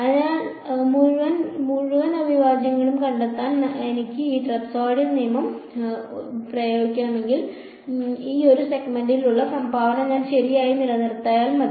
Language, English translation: Malayalam, So, if I want to just apply this trapezoidal rule to find out the whole integral from x 1 to x n, I just have to add the contribution for each of these segments correct